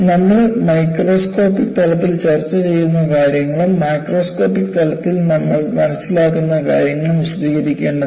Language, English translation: Malayalam, So, you have to delineate what we discuss at the microscopic level and what we understand at the macroscopic level